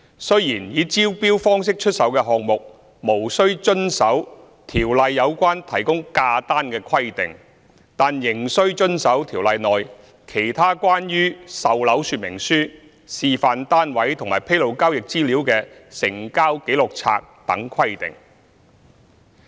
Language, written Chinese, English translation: Cantonese, 雖然以招標方式出售的項目無須遵守《條例》有關提供價單的規定，但仍須遵守《條例》內其他關於售樓說明書、示範單位和披露交易資料的成交紀錄冊等規定。, Though the requirement on the provision of price lists does not apply to developments sold by way of tender the Ordinance stipulates that other provisions relating to sales brochure show flat and Register of Transactions disclosing transaction information still apply